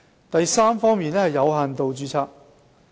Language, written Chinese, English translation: Cantonese, 第三，有限度註冊。, Third limited registration